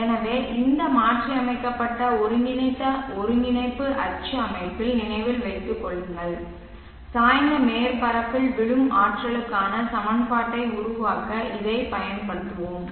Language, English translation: Tamil, So remember this modified merged coordinate axis system and we will be using this to develop the equation for the energy falling on a tilted surface